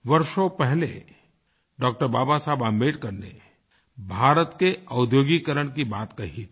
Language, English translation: Hindi, Baba Saheb Ambedkar spoke of India's industrialization